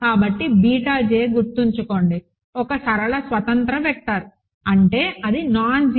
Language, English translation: Telugu, But, beta j remember is a linearly independent vector; that means, it is nonzero